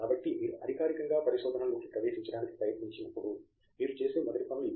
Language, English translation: Telugu, So, these are the first things that you would do when you try formally get into research